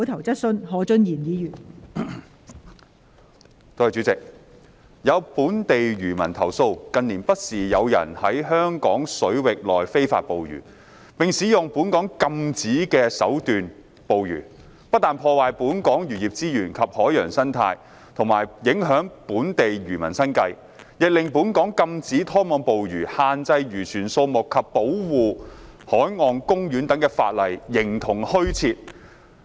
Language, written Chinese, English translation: Cantonese, 代理主席，有本地漁民投訴，近年不時有人在香港水域內非法捕魚，並使用本港禁止的手段捕魚，不但破壞本港漁業資源及海洋生態和影響本地漁民生計，亦令本港禁止拖網捕魚、限制漁船數目及保護海岸公園等法例形同虛設。, Deputy President some local fishermen have complained that some people have been engaging in illegal fishing within Hong Kong waters from time to time in recent years . Such people use means forbidden in Hong Kong to catch fish which has not only caused destruction to Hong Kongs fisheries resources and marine ecosystem as well as affected local fishermens livelihood but also rendered Hong Kongs legislation on trawl ban limitation on the number of fishing vessels protection of marine parks etc . virtually non - existent